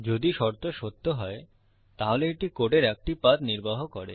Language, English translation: Bengali, If the condition is True, it executes one path of code